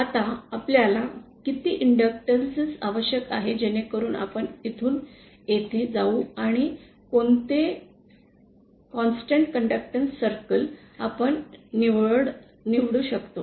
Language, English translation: Marathi, Now how much inductance do we need so that we go from here to here and which constant conductance circle we will choose you